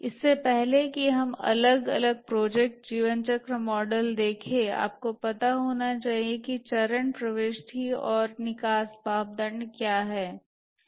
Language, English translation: Hindi, Before we look at the different project lifecycle models, we must know what is the phase entry and exit criteria